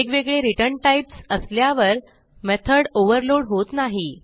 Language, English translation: Marathi, Having different return types will not overload the method